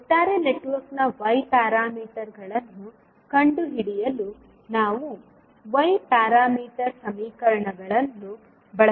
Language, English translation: Kannada, We have to use the Y parameters equations to find out the Y parameters of overall network